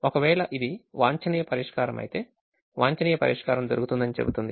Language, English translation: Telugu, if it gives an optimum solution, it will say that optimum solution is found